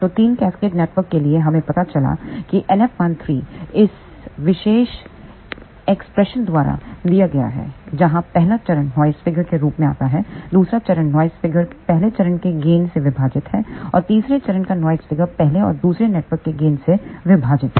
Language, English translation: Hindi, So, for 3 cascaded networks we found out NF 13 is given by this particular expression, where first stage noise figure comes as it is, second stage noise figure is divided by gain of the first stage, and for third stage noise figure is divided by gain of first as well as second networks